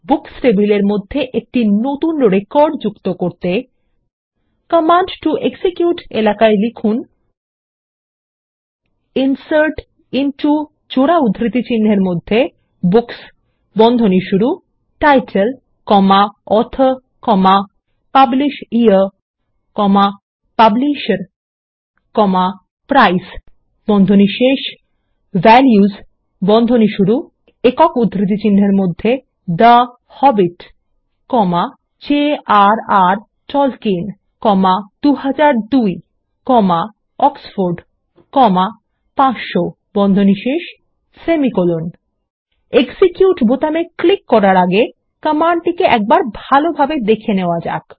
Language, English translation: Bengali, Let us insert a new record into the Books table by typing, in the Command to execute text area: INSERT INTO Books ( Title, Author, PublishYear, Publisher, Price) VALUES (The Hobbit, J.R.R Tolkien, 2002, Oxford, 500) Before clicking on the Execute button, let us look at the command closely now